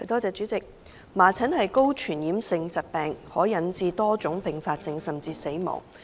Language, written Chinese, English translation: Cantonese, 主席，麻疹是高傳染性疾病，可引致多種併發症甚至死亡。, President measles is a highly contagious disease which may cause various kinds of complications and even death